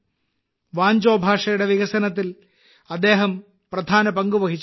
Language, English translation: Malayalam, He has made an important contribution in the spread of Wancho language